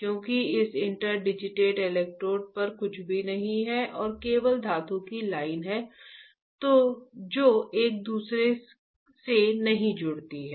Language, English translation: Hindi, Because there is nothing on this interdigitated electrodes and only there are metal lines not connecting with each other, right